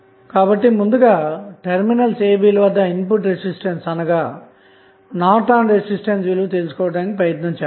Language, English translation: Telugu, So, if you look from the side a, b the input resistance would be nothing but Norton's resistance